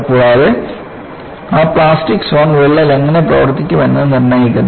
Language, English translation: Malayalam, And, that plastic zone dictates how the crack is going to behave